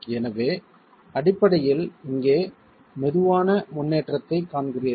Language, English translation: Tamil, So, basically you see a slow progression here